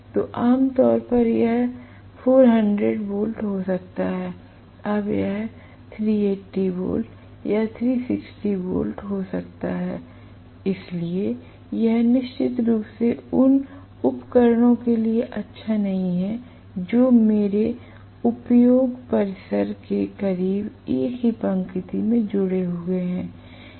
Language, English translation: Hindi, So, normally it may be 400 volts, now it may be 380 volts or 360 volts, so it is definitely not good for the equipment that are connected in the same line closer to my industry premises